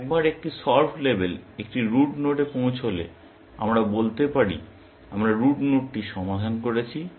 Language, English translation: Bengali, Once a solved label reaches a root node, we can say, we have solved the root node